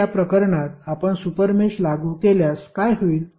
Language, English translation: Marathi, So, in this case if you apply to super mesh what will happen